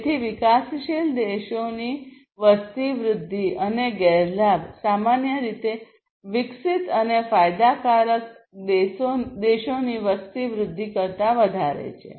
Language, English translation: Gujarati, So, the population growth of countries developing and disadvantage is typically greater than the population growth of the developed and advantaged countries